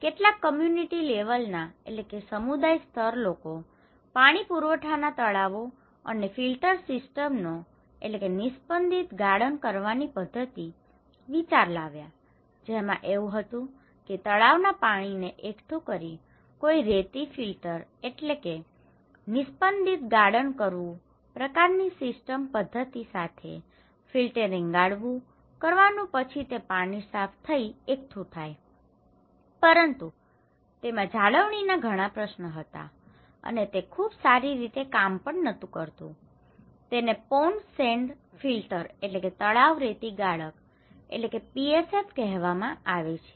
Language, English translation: Gujarati, Some people came up with idea community level water supply ponds and filter system, okay so, it was like you are collecting the pond water and then with some kind of filtering, sand filter kind of system, then it is aggregated and then coming to clear water but there is a lot of maintenance issues, and which is not working very well, it is called PSF; pond sand filter